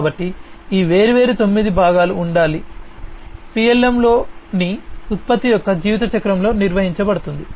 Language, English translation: Telugu, So, all of these different nine components will have to be handled in the lifecycle of a product in PLM